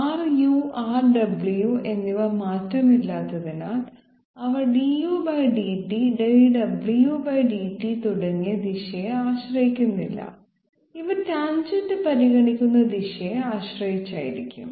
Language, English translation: Malayalam, Because R u and R w they are invariant, they do not depend upon the direction, du/ dt dw/dt, et cetera these will be dependent upon the direction in which the tangent is being considered